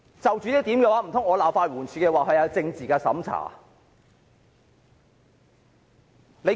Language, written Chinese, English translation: Cantonese, 就此，難道我又要責罵法援署，指它有政治審查嗎？, Regarding this does it mean that I have to blame LAD for political censorship?